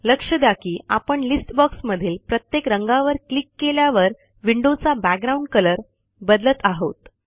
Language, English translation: Marathi, Notice that the window background colour changes as we click through each colour in the list box